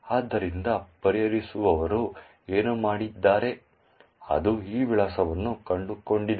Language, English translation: Kannada, So, what the resolver has done it has gone into this particular address